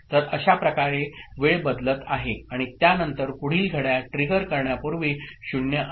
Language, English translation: Marathi, So, this is way the time is you know, changing right and after that before the next clock trigger, 0 is there ok